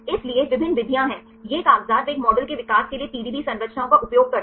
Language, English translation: Hindi, So, there are various methods, these papers they use the PDB structures for developing a model right